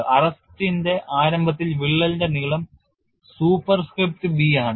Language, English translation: Malayalam, At the start of arresting, the length of the crack is a superscript b